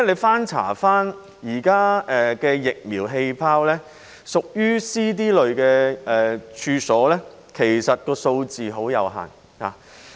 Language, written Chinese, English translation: Cantonese, 翻查現時的"疫苗氣泡"資料，屬於 C、D 類餐飲處所的數字其實很有限。, Having looked through existing information on the vaccine bubble I realize that the number of Type C and D catering premises is actually very limited